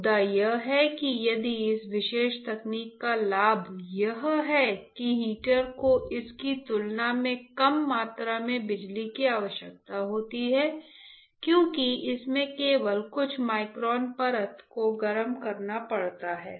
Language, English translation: Hindi, The point is if the advantage of this particular technique is that now you can see that the heater requires less amount of power compared to this, because it has to heat only a few microns of layer